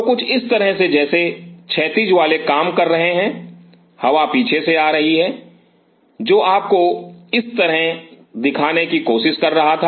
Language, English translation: Hindi, So, now, the way something like this horizontal once are working like this the air is coming from the back which was trying to show you like this